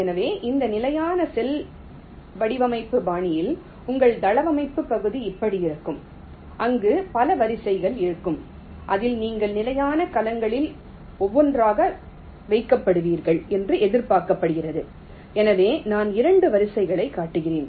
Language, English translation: Tamil, so in this standard cell design style, your layout area will look like this, where there will be several rows in which you are expected to put in the standard cells one by one